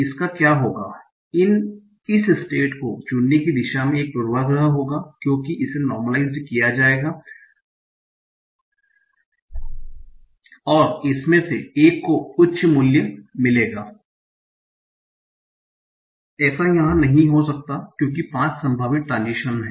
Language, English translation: Hindi, So what will happen these will get a, they will be a bias towards choosing this state because this will be normalized and one of these will get a higher value and this may not happen here because there are five possible transitions